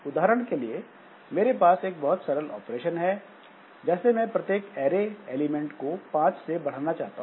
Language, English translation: Hindi, For example, if I have to say I have got a simple operation like for each array element I want to increment it by 2